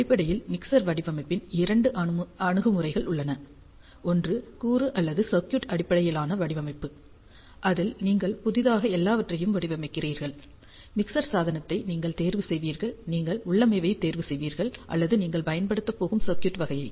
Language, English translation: Tamil, So, basically there are two approaches of mixer design, one is component or circuit based design in which you design everything from scratch, you select the mixing device, you select the type of the configuration or type of the circuit that you are going to use